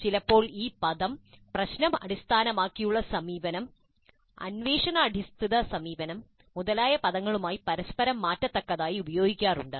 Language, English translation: Malayalam, Sometimes the term is used interchangeably with terms like problem based approach, inquiry based approach, and so on